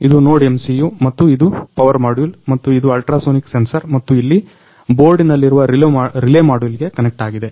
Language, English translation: Kannada, So, this is NodeMCU and this is power module and this is ultrasonic sensor and here we have connected to relay module which is inside the board